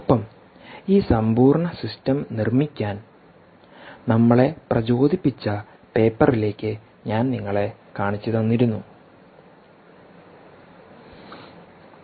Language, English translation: Malayalam, and i pointed you to the paper which actually inspired us to build this complete system